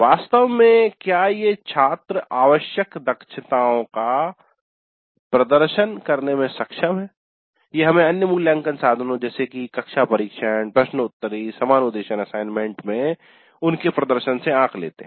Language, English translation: Hindi, Actually whether the students are capable of demonstrating the required competencies that we are judging from their performance in the other assessment instruments, class tests, quizzes and assignments